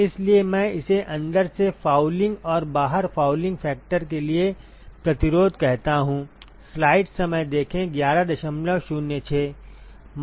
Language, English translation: Hindi, So, I call it fouling inside and resistance for fouling factor outside